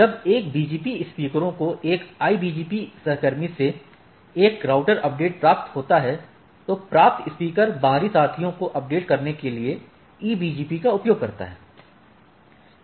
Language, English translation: Hindi, When a BGP speakers receives a router update, from a IBGP peer, the receiving speaker uses the EBGP to propagate to update the external peers right